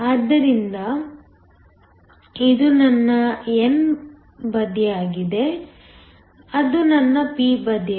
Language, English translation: Kannada, So, this is my n side; that is my p side